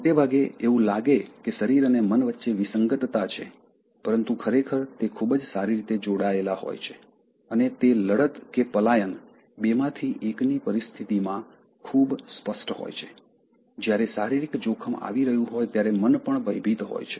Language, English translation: Gujarati, Often, it appears that body and mind appear to be discordant but actually they are very well connected, which is very clear in situations like fight or flight where the mind is also afraid when there is a physical impending danger